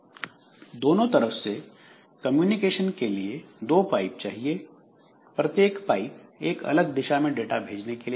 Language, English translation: Hindi, If two way communication is required, two pipes must be used with each pipe sending data in a different direction